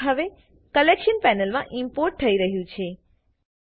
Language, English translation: Gujarati, The clip is now being imported into the Collection panel